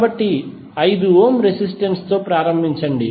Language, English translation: Telugu, So, start with the 5 ohm resistance